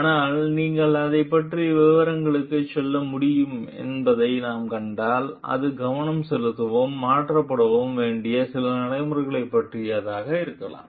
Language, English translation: Tamil, But if we see you can go to the details of it, it may be regarding some procedures which need to be focused and changed